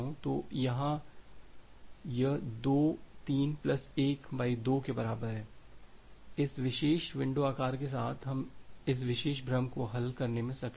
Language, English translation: Hindi, So, here it is equal to 2 3 plus 1 by 2 equal to so, with this particular window size we are able to resolve this particular confusion